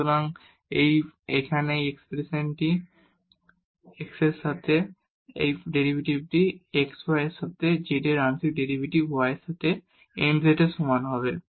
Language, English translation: Bengali, So, then we have this expression here x partial derivative of z with respect to x y the partial derivative of z with respect to y will be equal to nz